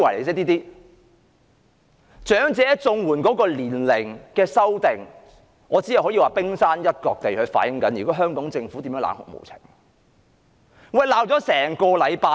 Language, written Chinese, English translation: Cantonese, 在長者綜援年齡的修訂上，我只可以說，這只是反映了香港政府冷酷無情一面的冰山一角。, In the adjustment to the eligibility age of elderly CSSA I can only say that the case has merely exposed the tip of the iceberg of the inhumanity of the Hong Kong Government